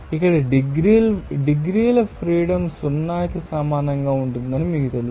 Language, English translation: Telugu, So here you know that degrees Freedom will be equal to 0